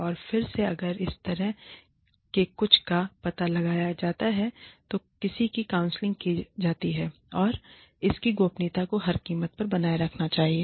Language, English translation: Hindi, And again, if something like this is detected, and somebody is counselled, then confidentiality of this should be maintained, at all costs